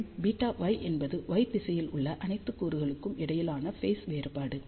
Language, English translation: Tamil, And, beta y is the phase difference between all the elements in the y direction